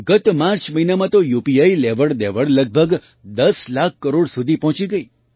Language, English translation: Gujarati, Last March, UPI transactions reached around Rs 10 lakh crores